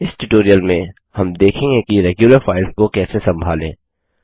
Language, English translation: Hindi, In this tutorial we will see how to handle regular files